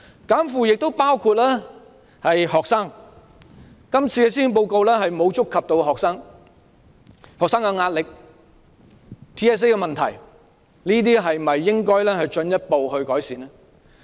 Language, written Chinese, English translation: Cantonese, "減負"亦包括學生，今年的施政報告並無觸及學生，對於學生的壓力、TSA 等問題，政府是否應該進一步改善這些問題呢？, Reducing workload is also applicable to students . The Policy Address this year has not touched on issues about students . Should the Government further alleviate the stress on students the problem of TSA etc?